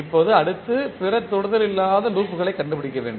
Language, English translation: Tamil, Now, next we need to find out the other non touching loops